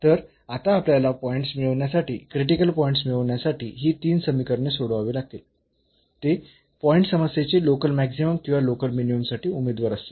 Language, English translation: Marathi, So now, we have to solve these 3 equations to get the points to get the critical points and those points will be the candidates for the local for the maximum or the minimum of the problem